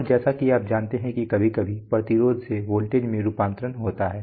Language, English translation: Hindi, And sometimes you know I mean amplified sometimes the conversion from resistance to voltage